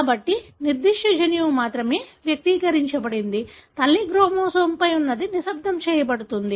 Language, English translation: Telugu, So, only that particular gene is expressed; the one that is located on the maternal chromosome is silenced